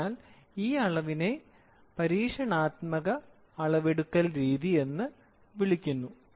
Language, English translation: Malayalam, So, this measurement is called as experimental method of measurement